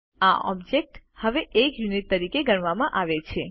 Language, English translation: Gujarati, These objects are now treated as a single unit